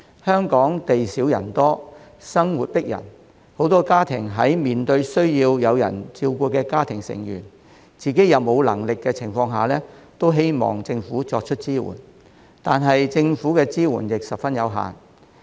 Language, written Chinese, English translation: Cantonese, 香港地少人多，生活迫人，許多家庭在面對需要有人照顧家中成員、而自己又無能力的情況下，都希望政府給予支援，但政府的支援卻十分有限。, Hong Kong is a small place with a large population and life is stressful . Many families which are unable to take care of their own members in need would expect the Government to give them support but such support is very limited